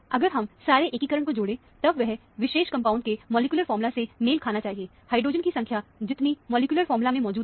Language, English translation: Hindi, If you add up all the integration, that should match the molecular formula of the particular component, the number of hydrogen present in the molecular formula